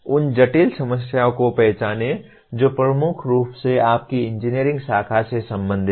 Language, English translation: Hindi, Identify complex problems that dominantly belong to your engineering branch